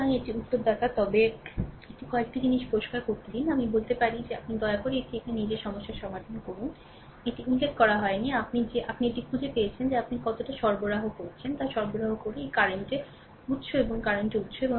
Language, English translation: Bengali, So, this is the answer, but let me clean it one few things, I can tell that you, please solve it of your own here problem it is not ah mentioned, that you you are you find out ah you find out how much power is supplied by this current source and this current source